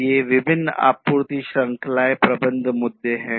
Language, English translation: Hindi, So, these are the different supply chain management issues